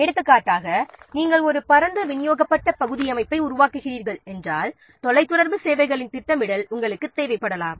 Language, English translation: Tamil, For example, if you are developing a wide area distributed system, you may require scheduling of the telecommunication services